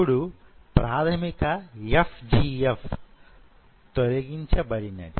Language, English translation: Telugu, Basic FGF is now removed